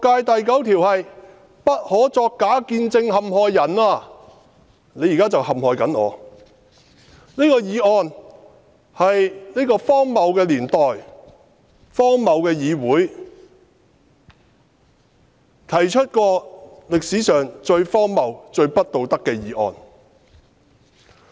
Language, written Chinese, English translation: Cantonese, 第九條是不可作假見證陷害人，而他現在正陷害我，這項議案是這個荒謬的年代、荒謬的議會，提出歷史上最荒謬、最不道德的議案。, The ninth commandment is Thou shalt not bear false witness against thy neighbour . Now he is bearing false witness against me . This is the most absurd and immoral motion ever moved in the history of this most absurd Council in this absurd era